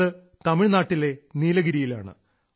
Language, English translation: Malayalam, This effort is being attempted in Nilgiri of Tamil Nadu